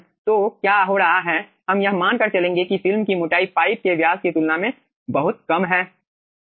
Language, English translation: Hindi, we will be taking assumption that film thickness is very small, compare to the pipe diameter